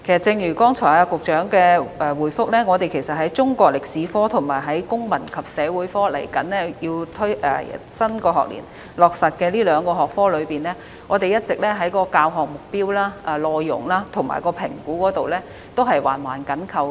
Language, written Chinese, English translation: Cantonese, 正如局長剛才的答覆，在中國歷史科和新學年即將落實的公民與社會發展科這兩個學科中，教學目標、內容及評估皆環環緊扣。, As replied by the Secretary just now for the two subjects of Chinese History and the Citizenship and Social Development to be implemented in the new school year their teaching objectives contents and assessments are closely intertwined